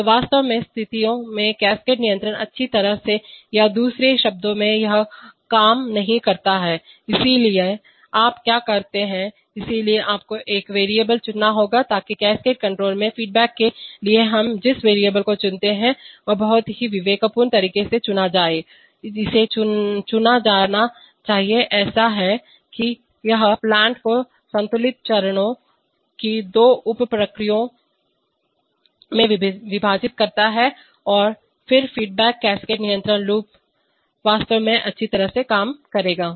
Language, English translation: Hindi, So in fact situations cascade control does not work well or in other words this, so what do you do, so you have to choose a variable so the variable that we choose to feedback in cascade control should be very judiciously chosen, it should be chosen such that it divides the plant into two sub processes of balanced phases right, then the cascade control loop will actually work well